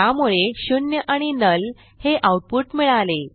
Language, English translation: Marathi, So we got the output as 0 and null